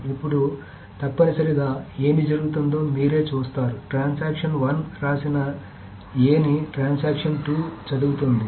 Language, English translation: Telugu, Now essentially what is happening is that you see that transaction 2 is reading the A which is written by transaction 1